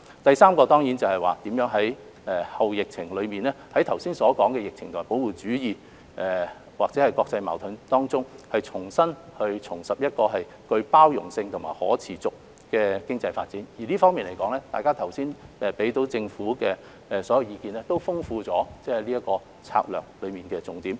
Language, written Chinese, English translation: Cantonese, 第三個挑戰是如何在後疫情時期，在剛才提及的疫情、保護主義或國際矛盾下，重拾具包容性和可持續的經濟發展動力，在這方面，大家剛才給予政府的所有意見，都豐富了這項策略的重點。, The third challenge is how to regain inclusive and sustainable economic development momentum amid the epidemic protectionism and international conflicts as mentioned earlier . In this connection all the advice that Members have given to the Government has enriched the strategy concerned